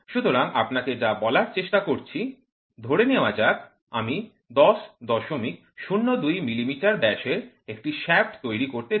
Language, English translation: Bengali, So, what am trying to tell you is suppose, let us assume I want to manufacture a shaft of diameter 10